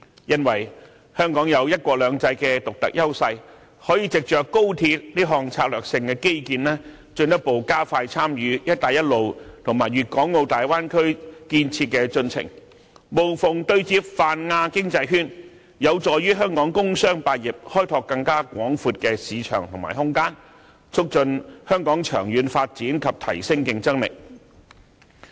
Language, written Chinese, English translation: Cantonese, 因為香港有"一國兩制"的獨特優勢，可以值着高鐵這項策略性基建，進一步加快參與"一帶一路"和粵港澳大灣區建設的進程，無縫對接泛亞經濟圈，有助於香港工商百業開拓更廣闊的市場和空間，促進香港長遠發展及提升競爭力。, Since Hong Kong enjoys the unique advantage under one country two systems it may leverage this strategic infrastructure of XRL to further expedite its participation in the Belt and Road Initiative and the construction of the Guangdong - Hong Kong - Macao Bay Area and seamlessly connect with the Pan - Asian Economic Circle to help Hong Kongs commercial and industrial sectors explore broader markets and horizons promote the long - term development of Hong Kong and upgrade its competitiveness